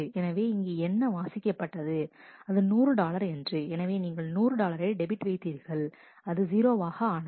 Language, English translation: Tamil, So, you debit 100 dollar it becomes 0